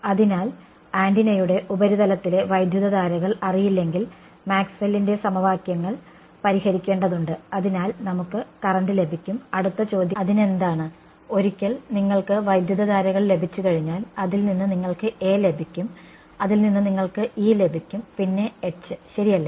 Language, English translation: Malayalam, So, we said if the currents are not known on the surface of the antenna in very general way we need to solve Maxwell equations , therefore, we can get the current next question is so what, once you get the currents you can get A, from A you can get E and H ok